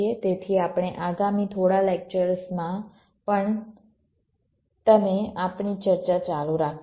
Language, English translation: Gujarati, so we shall be you continuing our discussion in the next few lectures as well